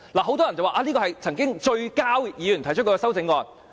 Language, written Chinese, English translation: Cantonese, 很多人說，這是曾經"最膠"議員提出的修正案。, Many regarded this amendment as one of the most silliest ever moved by a Member